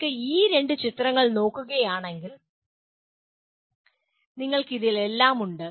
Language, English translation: Malayalam, If you look at these two pictures, you have everything in this